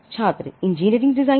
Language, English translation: Hindi, Student: Engineering designs